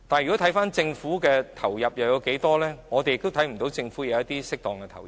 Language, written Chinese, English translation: Cantonese, 至於政府在器官移植上投入了多少資源，我們也看不到政府有適當的投入。, As regards the amount of resources the Government has injected into organ donation we fail to see that the Government has injected appropriately